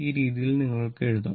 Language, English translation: Malayalam, This way you can write